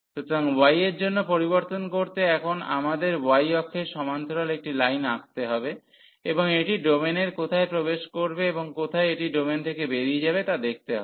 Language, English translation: Bengali, So, changing for y we have to now draw a line parallel to the y axis and see where it enters the domain and where it exit the domain